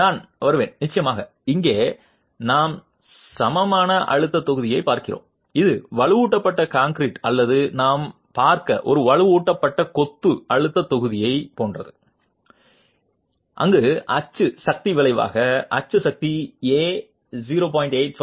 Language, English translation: Tamil, I will come to the, of course here we are looking at the equivalent stress block which is the same as in a reinforced concrete or a reinforced masonry stress block that we looked at where the axial force, axial force resultant, the axial force is equilibrated by the stress block of with A into T into 0